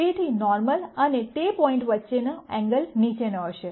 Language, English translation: Gujarati, So, the angle between the normal and that point is going to be the following